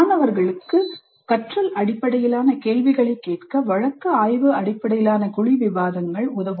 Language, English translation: Tamil, Case study based group discussions may help students in learning to ask generative questions